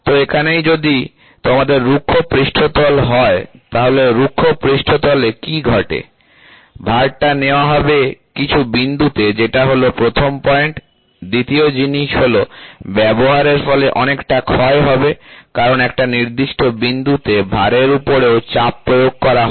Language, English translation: Bengali, So, here if you have rough surface then, this rough surface what happens, the load will be taken by few points that is point number one, second thing is there will be lot of wear and tear because, the pressure is exerted on the load also at a certain point